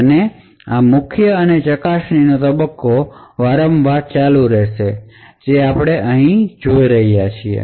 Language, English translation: Gujarati, And this prime and probe phase gets continues over and over again as we see over here